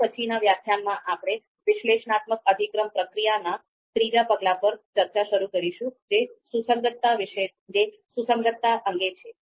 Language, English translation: Gujarati, And in the in the in the next lecture, we will start our discussion on the third step of Analytic Hierarchy Process which is on consistency check